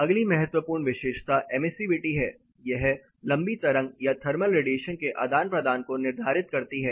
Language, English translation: Hindi, The next important properties is emissivity, is determines the long wave or the thermal radiation exchange